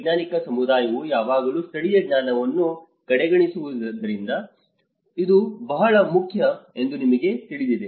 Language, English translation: Kannada, You know this is very important because the scientific community always undermines the local knowledge